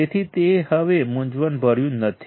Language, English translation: Gujarati, So, it is not confusing anymore